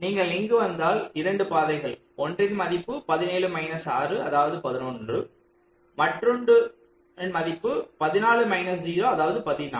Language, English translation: Tamil, if you come here, there are two paths: seventeen minus six coming here and fourteen minus zero, coming here, so it will be eleven